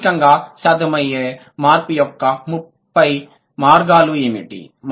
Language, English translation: Telugu, So, what are the 30 logically possible path of change